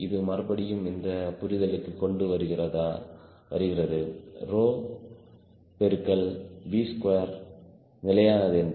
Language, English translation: Tamil, it again come to this understanding there: rho into v square has to be constant